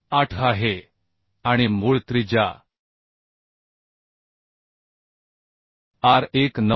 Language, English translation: Marathi, 8 and root radius R1 is 9